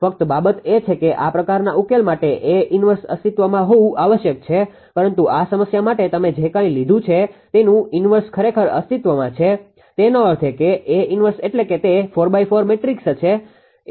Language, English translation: Gujarati, So, you can take the A inverse only thing is that for this kind of solution that A inverse must exist, but for this problem whatever you have taken that A inverse actually exists so; that means, A inverse means it will be a 4 into 4 matrix, right